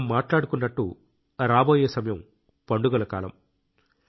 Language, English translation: Telugu, Like we were discussing, the time to come is of festivals